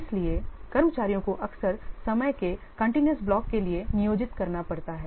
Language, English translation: Hindi, So, staff often have to be employed for a continuous block of time